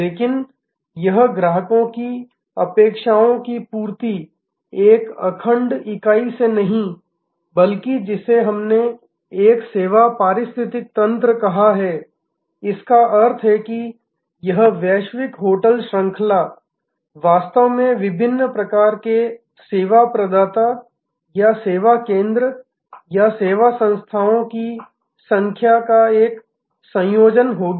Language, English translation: Hindi, But, this customers array of expectations will be met by not a monolithic entity, but what we have called a service ecosystem, that means this global hotel chain will be actually a combination of number of different types of service provider or service centres or service entities